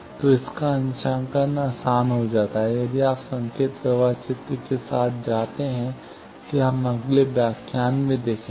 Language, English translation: Hindi, So, its calibration comes easier, if you do with signal flow graph; that we will see in the next lecture